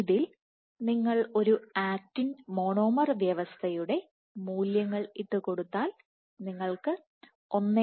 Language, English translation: Malayalam, So, if you plug in the values for an actin monomer system you will get fs of the order of 1